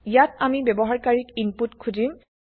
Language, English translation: Assamese, Here we are asking the user for input